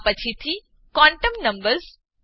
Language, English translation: Gujarati, This is followed by quantum numbers n